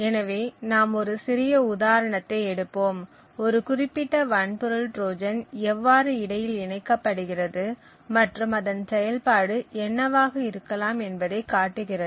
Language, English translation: Tamil, So, we will just take a small example of how a specific hardware Trojan can be inserted and what the functionality of this hardware Trojan could be